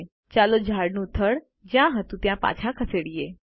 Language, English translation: Gujarati, Lets move the tree trunk back to where it was